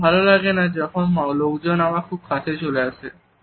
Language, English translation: Bengali, I do not like it, when people are too close to me